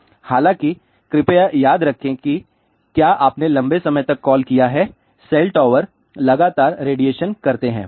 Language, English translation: Hindi, However, please remember if you have making call for a longer time cell towers are going to radiate continuously